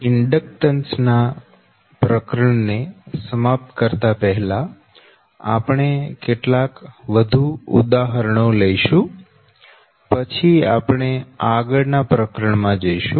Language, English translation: Gujarati, so ok, so before, uh, closing the inductance chapter, so we will take couple of more examples, then we will move to the next chapters